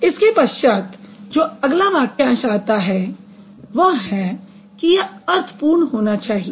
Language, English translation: Hindi, Then after that the next phrase comes meaningful